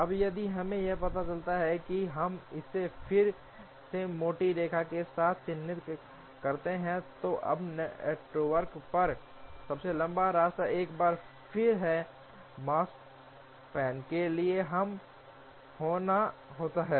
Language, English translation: Hindi, Now, if we find the let us mark it again with the thicker line, now the longest path of the on the network gives once again a lower bound to the Makespan